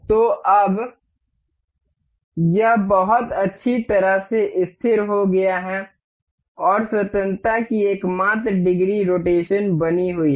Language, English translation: Hindi, So, now, this is very well fixed, and the only degree of freedom remains the rotation